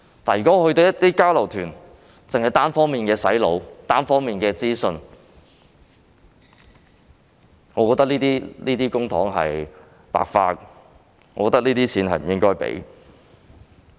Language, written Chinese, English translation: Cantonese, 如果交流團只是單方面的"洗腦"，只提供單方面的資訊，我認為這筆公帑是白花的，不應該批出有關的預算開支。, If the exchange tours only seek to unilaterally brainwash the students and provide them with lopsided information I think the public money will be wasted and thus the relevant estimated expenditure should not be approved